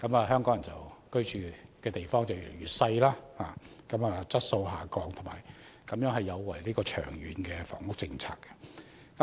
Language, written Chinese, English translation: Cantonese, 香港人居所的面積越來越小，居住質素不斷下降，有違長遠房屋政策的目標。, The homes of Hong Kong people have become smaller and smaller with deteriorating living conditions which goes against the objectives of our long - term housing policies